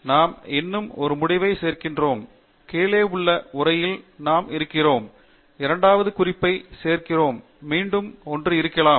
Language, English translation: Tamil, So, we add one more endnote, and at the bottom we have the text, and we would add the second reference, and again, may be one more